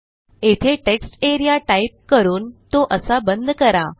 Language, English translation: Marathi, So I will type textarea and end it like that